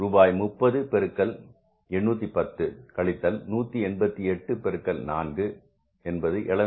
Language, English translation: Tamil, rupees 30 into 810 minus this is 188 into 4 is 752